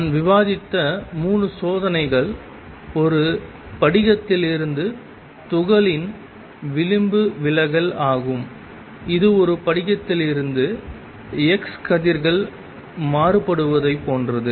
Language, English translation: Tamil, And 3 experiments that I had discussed was diffraction of particles from a crystal, which is similar to diffraction of x rays from a crystal